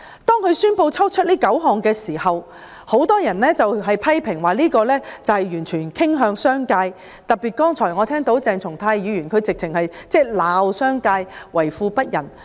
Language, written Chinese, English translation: Cantonese, 政府宣布剔除這9項罪類時，很多人批評政府此舉完全向商界傾斜，剛才鄭松泰議員更指罵商界為富不仁。, When the Government announced the removal of these nine items of offences many people criticized the Government for tilting totally in favour of the business sector . Just now Dr CHENG Chung - tai even reviled the business sector for being rich but heartless